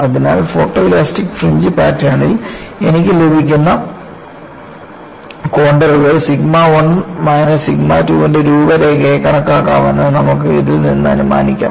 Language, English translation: Malayalam, So, you can infer from this that whatever the contours that I get in photoelastic fringe pattern can be considered as contours of sigma 1 minus sigma 2